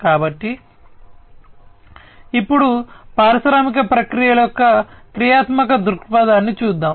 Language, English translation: Telugu, So, now let us look at the functional viewpoint of industrial processes